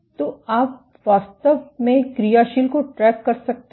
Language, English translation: Hindi, So, you can actually track the dynamic